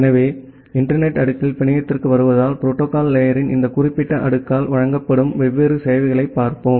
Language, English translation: Tamil, So, coming to the network at the internet layer, so, let us look into the different services which are being provided by this particular layer of the protocol stack